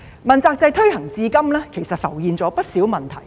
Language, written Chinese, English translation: Cantonese, 問責制推行至今，其實浮現了不少問題。, Since the implementation of the accountability system a number of problems have actually arisen